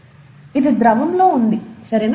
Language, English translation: Telugu, This is in the liquid, okay